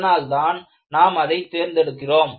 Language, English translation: Tamil, That is why we go in for it